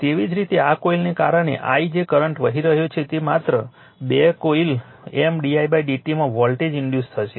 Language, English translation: Gujarati, Similarly because of this coilthat current I is flowing a voltage will be induced in just 2 coil M d i by d t